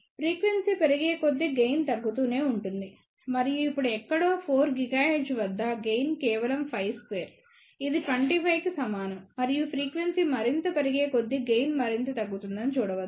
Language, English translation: Telugu, But you can see that as frequency increases, gain keeps on decreasing and one can see that somewhere at 4 gigahertz now, gain is just about 5 square which is equal to 25 and as frequency increases further, gain is reducing further